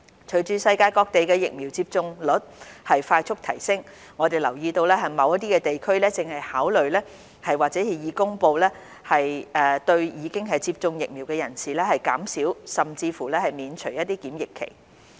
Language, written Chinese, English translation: Cantonese, 隨着世界各地的疫苗接種率快速提升，我們留意到某些地區正考慮或已公布對已接種疫苗的人士減少甚至免除檢疫期。, As vaccination rates around the world are rapidly increasing we note that some places are considering or have announced the reduction or lifting of quarantine for vaccinated persons